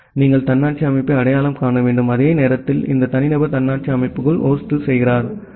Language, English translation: Tamil, So, you have to identify autonomous system and at the same time this individual hosts inside the autonomous system